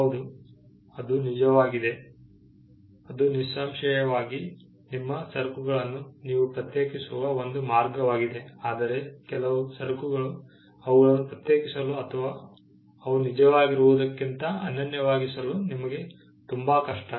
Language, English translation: Kannada, Yes, that is certainly a way in which you can distinguish your goods, but certain goods it is very hard for you to distinguish or to make them unique from what they actually are